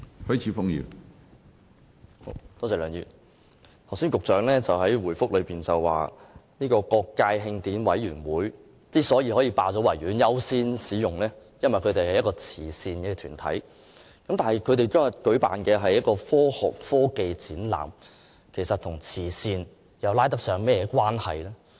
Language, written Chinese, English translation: Cantonese, 梁議員，局長剛才在主體答覆中表示，慶委會可以霸佔和優先使用維園，因為它是一個慈善團體，但它當天舉辦的是科學科技展覽，與慈善可以扯上甚麼關係呢？, Mr LEUNG the Secretary has just indicated in the main reply that HKCA is accorded a higher priority in occupying and using the Victoria Park because it is a charitable organization . Yet HKCA is actually going to organize a science and technology expo on that day and I wonder how it is related to charity